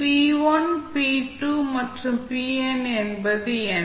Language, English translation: Tamil, Now, what are the p1, p2 and pn